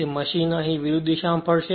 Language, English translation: Gujarati, So, machine will rotate in the opposite direction right